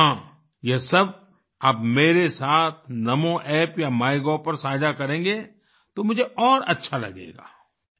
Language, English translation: Hindi, And yes, I would like it if you share all this with me on Namo App or MyGov